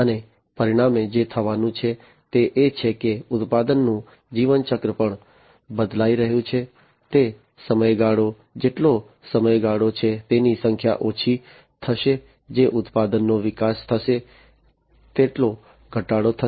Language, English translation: Gujarati, And consequently what is going to happen is that the product life cycle is also going to be changed, it is going to be lower the number of that the duration of time that a product will be developed over is going to be reduced